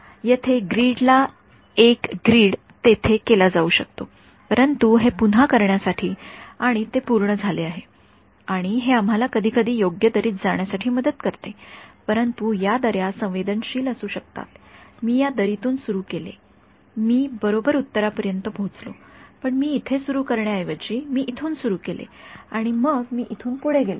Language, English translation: Marathi, Yeah, one grid here to one grid there it can be done, but that is again in one retrieve match to do it and that is done and that is helps us sometimes to get into the right valley, but these valleys can be sensitive supposing I started in this valley I reach the correct answer, but if I started let us say instead of starting here I started over here and then I move my go here